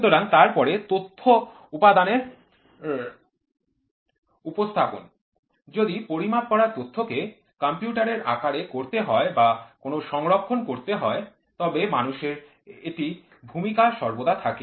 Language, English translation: Bengali, So, then the Data Presentation Element; if the information about the measured quantity is to be computerized or is to be stored somewhere so, then is to human sense it is always there